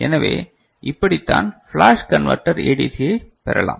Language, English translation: Tamil, So, this is how flash converter, this ADC can be achieved